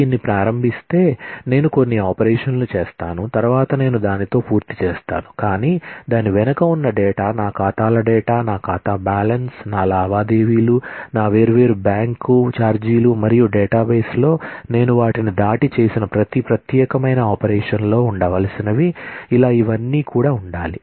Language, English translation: Telugu, If I start it, I do certain operations, I am done with it, but the data that is behind it the data of my accounts, my account balance, my transactions, my different bank charges, all that need to stay on and on and on and beyond every particular operation that I have done on the database